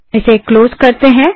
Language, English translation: Hindi, So close this